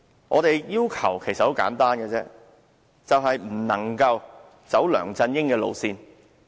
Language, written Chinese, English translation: Cantonese, 我們的要求其實很簡單，就是"不能走梁振英的路線"。, Our request is very simple . LEUNG Chun - yings political line must not be inherited